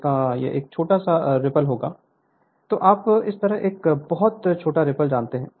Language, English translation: Hindi, It will have the very small ripple, the you know very small ripple like this